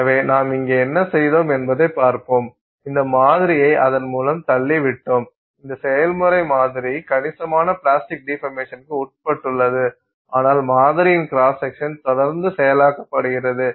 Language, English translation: Tamil, We have pushed this sample through, it comes out and in this process the sample has undergone considerable plastic deformation but the cross section of the sample is maintained